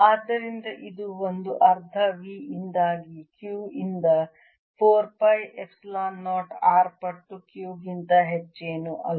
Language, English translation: Kannada, due to this, q is nothing but q over four pi epsilon zero r times q